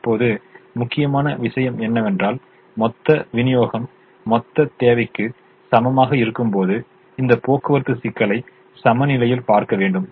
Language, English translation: Tamil, now the important, the important thing that we need to look at is: the transportation problem is balanced when total supply equals total demand